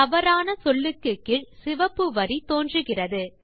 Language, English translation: Tamil, You see that a red line appears just below the incorrect word